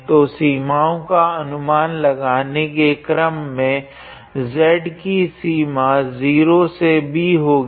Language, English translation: Hindi, So, in order to guess the limits z is actually varying from 0 to b